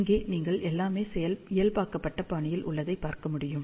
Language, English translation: Tamil, And here as you can see everything is in the normalized fashion